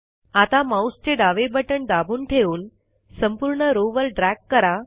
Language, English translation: Marathi, Now hold down the left mouse button on this cell and drag it across the entire row